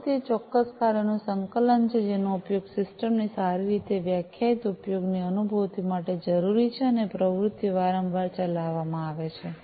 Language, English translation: Gujarati, Activity is the coordination of specific tasks, that are required to realize a well defined usage of a system and activities are executed repeatedly